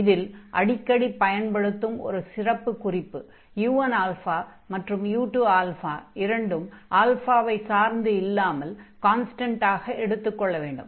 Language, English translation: Tamil, So, a particular case which we often use, so we assume that u 1 alpha and u 2 alpha, they do not depend on alpha, so they are constant